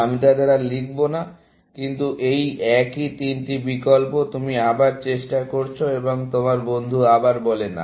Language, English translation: Bengali, I will not write them, but these are the same three options; what you are trying, and your friend again, says, no, essentially